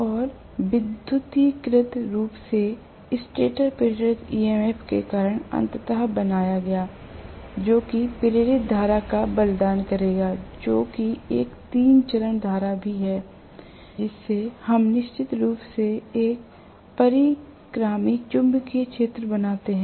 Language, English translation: Hindi, And electrically created because of the stator induced EMF eventually, which will cost induced current that is also a three phase current that we definitely create a revolving magnetic field